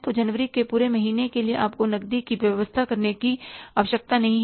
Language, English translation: Hindi, So, for the whole of the month of January, you don't need to arrange the cash